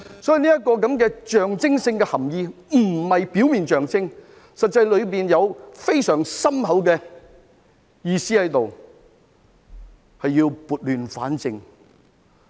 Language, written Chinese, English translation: Cantonese, 所以，這個象徵性的含意不是表面的象徵，實際上當中有非常深厚的意思，是要撥亂反正。, Hence this symbolic meaning is not about the superficial symbol . It actually has a profound meaning . We need to restore order from chaos